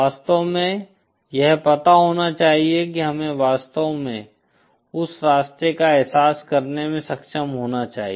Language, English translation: Hindi, It should actually you know we should actually be able to realize that path